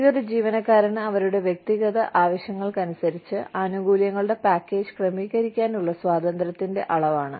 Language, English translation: Malayalam, And, this is the degree of freedom, an employee has, to tailor the benefits package, to their personal needs